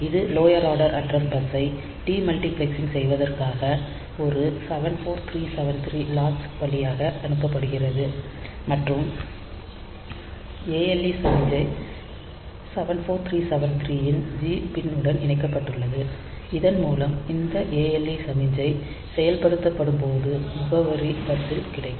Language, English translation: Tamil, So, this is passed through one 7 4 3 7 3 latch for multiplexing for de multiplexing the lower order address bus and the ALE signal is connected to g pin of 7 4 3 7 3 by which we can when this ale signal is activated address is available in the bus and that gets latched here